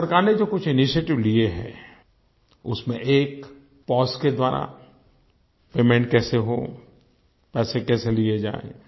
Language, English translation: Hindi, One of the initiatives in this regard taken by the Government of India is about how to make payments through 'Pos', how to receive money